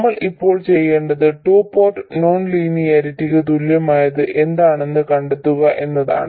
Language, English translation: Malayalam, What we want to do now is to figure out what is the equivalent of a two port non linearity